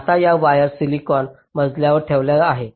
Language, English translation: Marathi, now this wires are laid out on the silicon floor